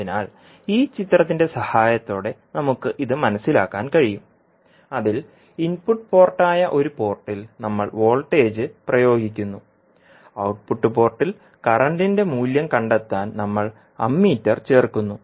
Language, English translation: Malayalam, So, we can understand this with the help of this figure in which at one port that is input port we are applying the voltage and at the output port we are adding the Ammeter to find out the value of current